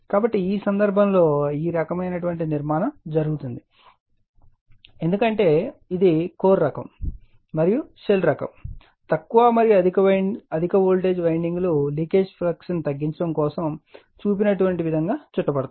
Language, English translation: Telugu, So, in this case this kind of construction is made because it is core type and shell type the low and high voltage windings are wound as shown in reduce the leakage flux, right